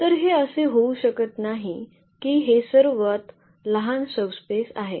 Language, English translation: Marathi, So, it cannot be that this is not the smallest subspace